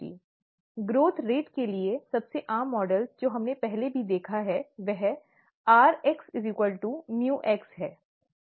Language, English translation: Hindi, One of the most common models for growth rate that we have already seen is rx equals mu x, okay